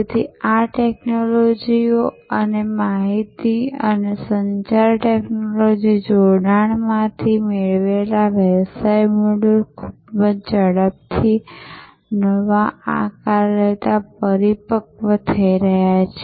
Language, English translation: Gujarati, So, these technologies and the business models derived from those information and communication technology fusion are growing maturing taking new shapes very, very rapidly